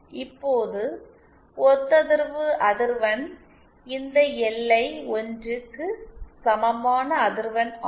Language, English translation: Tamil, Now the resonant frequency is the frequency at which this LI is equal to 1